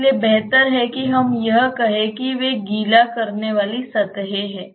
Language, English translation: Hindi, So, better we say that those are wetting surfaces